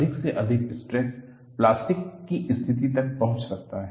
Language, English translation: Hindi, At the most, the stresses can reach the plastic condition